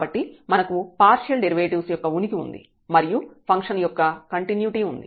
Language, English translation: Telugu, So, hence this function is continuous the partial derivatives exist and the function is continuous